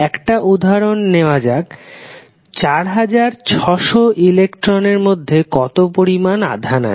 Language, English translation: Bengali, Let us take one example, how much charge is represented by 4600 electrons